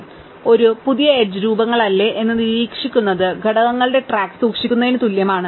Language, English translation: Malayalam, So, keeping track whether are not a new edge forms a cycle is equivalent to keeping track of components